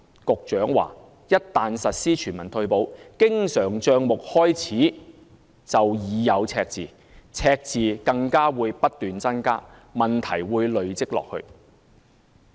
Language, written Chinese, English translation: Cantonese, 局長表示，一旦實施全民退保，經常帳目開始時便已有赤字，赤字更會不斷增加，問題會累積下去。, The Secretary opined that once a universal retirement protection scheme was implemented a deficit would be recorded in the recurrent account from the beginning and the problem would accumulate with an increasing deficit